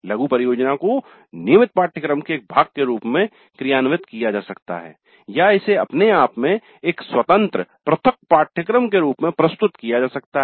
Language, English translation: Hindi, The mini project may be implemented as a part of a regular course or it may be offered as an independent separate course by itself